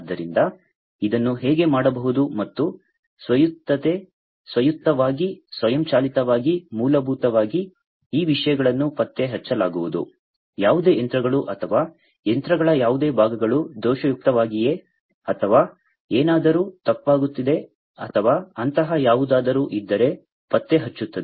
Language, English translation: Kannada, So, how can this be done and autonomy, autonomously, automatically, basically these things are going to be detected, whether any machinery or, any parts of the machines are defective or, anything is going wrong or anything like that